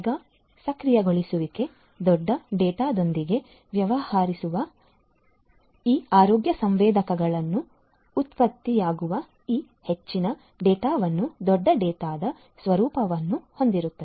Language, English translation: Kannada, Cloud enablement, you know dealing with big data because most of this data that is generated from these healthcare sensors have the nature of big data